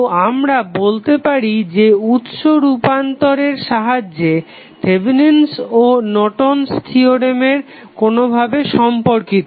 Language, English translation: Bengali, So, using this source transformation technique you can say that Thevenin resistance is nothing but Norton's resistance